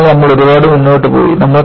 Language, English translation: Malayalam, So, we have come a long way